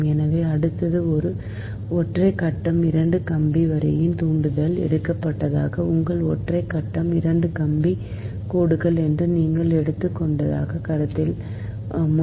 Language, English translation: Tamil, so next one is that inductance of a single phase two wire line right, for example, before this thing, that suppose you have taken that your single phase two wire lines, right